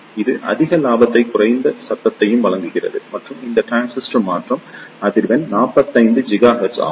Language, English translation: Tamil, the It provides higher gain and low noise and it the transition frequency of this transistor is 45 gigahertz